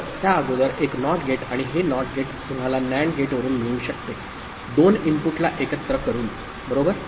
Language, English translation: Marathi, So, a NOT gate before it and this NOT gate you can get by a NAND gate also, by joining the 2 inputs, right